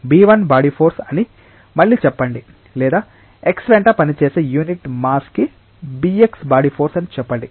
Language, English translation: Telugu, Let us again say that b 1 is the body force or say b x is the body force per unit mass acting along x